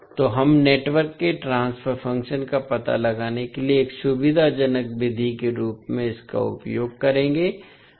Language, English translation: Hindi, So, we will use this as a convenient method for finding out the transfer function of the network